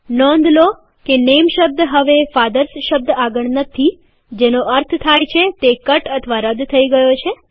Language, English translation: Gujarati, Notice that the word NAME is no longer there next to the word FATHERS, which means it has be cut or deleted